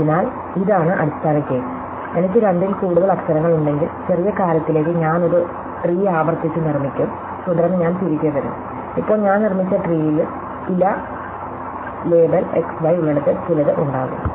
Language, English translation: Malayalam, So, this is the base case, if I have more than two letters I will recursively construct tree to the smaller thing and then I will come back and now, the tree that I constructed I will have some where the leaf label x y